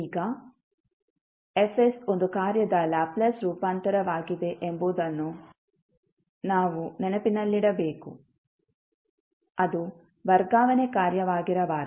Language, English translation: Kannada, Now, we have to keep in mind that F s is Laplace transform of one function which cannot necessarily be a transfer function of the function F